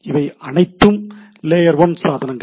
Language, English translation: Tamil, These are all layer one devices